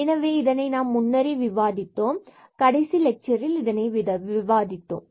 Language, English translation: Tamil, So, we have already discussed this in the last lectures